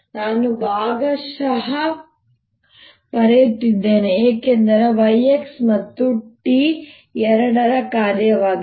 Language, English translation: Kannada, i am writing partial because y is a function of x and t both